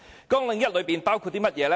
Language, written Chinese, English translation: Cantonese, 綱領1包括甚麼呢？, So what does Programme 1 cover?